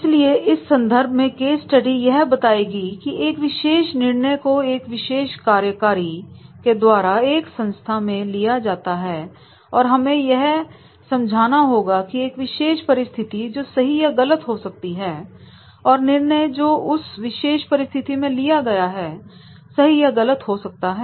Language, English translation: Hindi, So therefore in that case, this case study will tell that is this particular decision is taken by a particular executive in an organization and then we have to understand that particular situation that has been the right or wrong and the decision which has been taken in that particular situation it is correct or incorrect